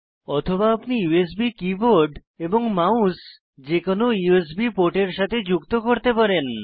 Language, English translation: Bengali, Alternately, you can connect the USB keyboard and mouse to any of the USB ports